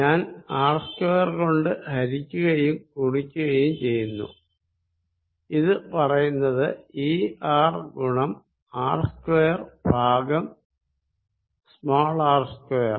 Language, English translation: Malayalam, I have multiplied and divided by capital R square, which I am going to say E R times R square over r square